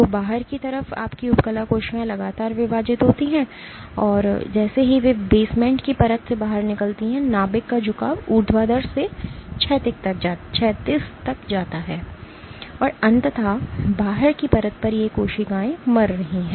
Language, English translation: Hindi, So, on outside you have your epithelial cells these continuously divide, and as they move out from the basement layer the orientation of the nuclei go from vertical to horizontal, and eventually at the outside layer these cells are dying